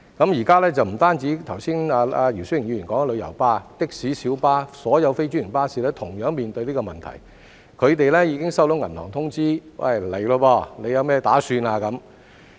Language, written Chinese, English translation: Cantonese, 現在不止是剛才姚思榮議員說的旅遊巴，的士、小巴、所有非專營巴士同樣面對這個問題，他們已經收到銀行通知："是時候了，你有甚麼打算？, Now not only the tour coaches taxis and minibuses as mentioned earlier by Mr YIU Si - wing but also all non - franchised buses are faced with this problem . They have already received notices from banks saying The time is up . What are you planning to do?